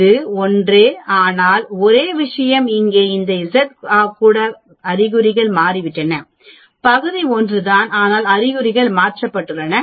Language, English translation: Tamil, It is the same, but only thing is here this z even the signs have changed, area is the same but signs are changed